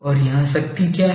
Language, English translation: Hindi, And what is the power here